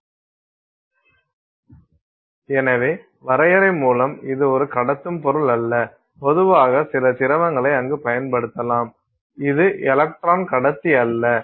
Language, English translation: Tamil, So, by definition it is a medium that is not a conductive material, usually some liquid which can be used there which is not a no electron conductor